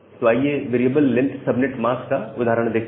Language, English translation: Hindi, So, let us see an example of variable length subnet mask